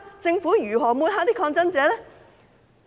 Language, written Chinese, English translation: Cantonese, 政府如何抹黑抗爭者？, How did the Government smear protesters?